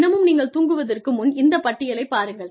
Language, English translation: Tamil, And, before you go to sleep, just look at this list